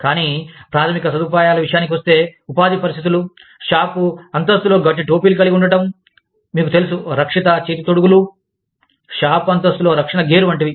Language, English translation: Telugu, But, when it comes to basic amenities, like conditions of employment, having hardhats on the shop floor, having you know, protective gloves, protective gear on the shop floor